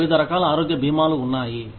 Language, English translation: Telugu, We have various types of health insurance